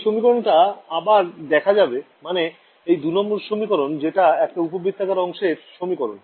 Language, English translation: Bengali, We can show you that equation once again equation 2 over here that was a equation of a ellipsoid